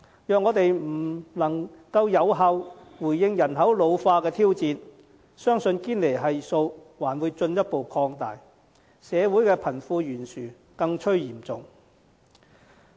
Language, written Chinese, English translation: Cantonese, 如我們不能有效回應人口老化的挑戰，相信堅尼系數還會進一步擴大，社會的貧富懸殊將更趨嚴重。, If we fail to respond to the challenges posed by an ageing population effectively it is believed that the Gini Coefficient will be pushed up further thereby aggravating the wealth gap in society